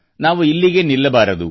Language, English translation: Kannada, We must not stop here